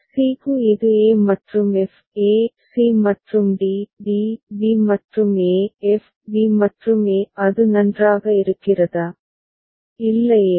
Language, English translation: Tamil, For c it is e and f; e c and d; d b and a; f b and a; is it fine, right